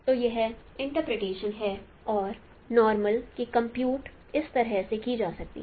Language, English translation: Hindi, So that is the interpretation and the normal can be computed in this fashion